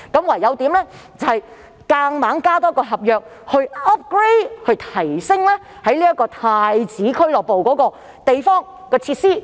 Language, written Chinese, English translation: Cantonese, 於是，他們只好多立一份合約，以 upgrade 即提升太子俱樂部的設施。, Thus they have to make another contract to upgrade the facilities of POC in Prince Edward